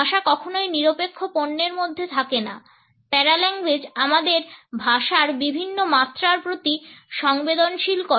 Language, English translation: Bengali, Language is never in neutral commodity paralanguage sensitizes us to the various dimensions language can have